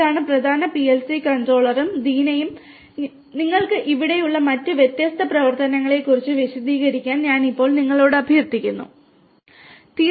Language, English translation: Malayalam, This is the main PLC controller and Deena, can I now request you to explain the different other functionalities that we have over here